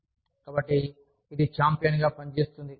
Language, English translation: Telugu, So, it acts as a champion